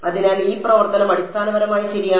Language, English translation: Malayalam, So, this function is basically right